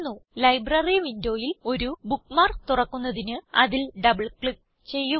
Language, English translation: Malayalam, To open a bookmark directly from the Library window, simply double click on it